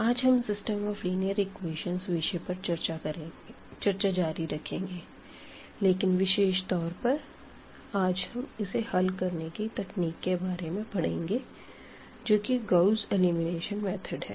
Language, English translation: Hindi, We will be continuing our discussion on System of Linear Equations and in particular, today we will look for the solution techniques that is the Gauss Elimination Method